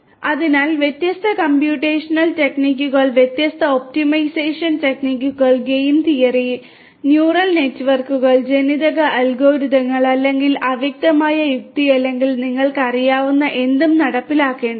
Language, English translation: Malayalam, So, different computational techniques will have to be implemented, different optimization techniques game theory, neural networks you know genetic algorithms, or you know fuzzy logic or anything you know